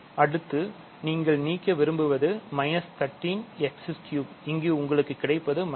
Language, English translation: Tamil, So, next you want to cancel minus 13 x cubed, so you get minus 13 x here right